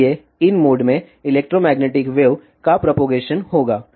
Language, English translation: Hindi, So, there will be propagation of electric magnetic wave in these modes